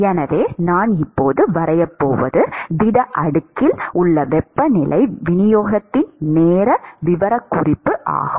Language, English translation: Tamil, So, what I am going to sketch now is the time profile of the, time profile of the temperature distribution in the solid slab